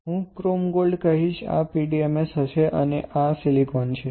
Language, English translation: Gujarati, So, I will say chrome gold, this one would be PDMS and this is silicon